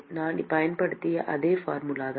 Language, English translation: Tamil, It is the same formula I have used